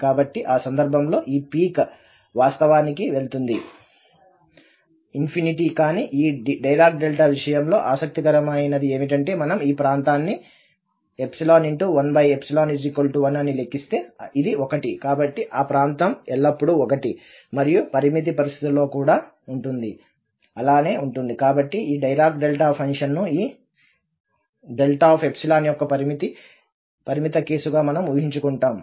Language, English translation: Telugu, So, in that case, this peak will go to actually infinity but what is interesting in this Dirac Delta case that if we compute this area which is epsilon over 1 over epsilon this is 1, so the area is always 1 and when, even the limiting situation also the area would be 1